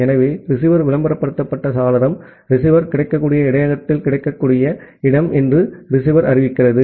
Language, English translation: Tamil, So, the receiver advertised window, receiver announces that that is the available place at the available buffer at the receiver